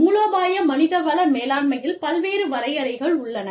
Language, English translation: Tamil, Strategic human resource management, there are various definitions